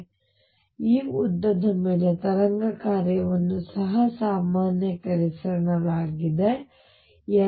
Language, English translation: Kannada, So, the wave function is also normalized over this length L